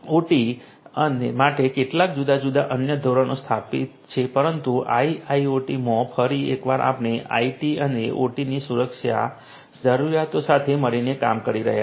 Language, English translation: Gujarati, There are a few are different other standards for OT which are in place, but in IIoT once again we are talking about IT and OT security requirements working together